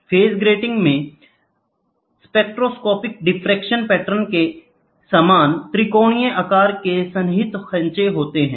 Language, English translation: Hindi, The phase grating consists of triangularly shaped contiguous grooves similar to spectroscopic diffraction patterns